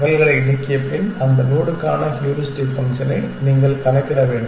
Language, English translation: Tamil, After removing the duplicates ones, you have to compute the heuristic function for that node essentially